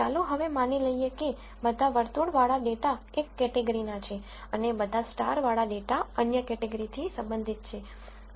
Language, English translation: Gujarati, Now let us assume that all the circular data belong to one category and all the starred data, belong to another category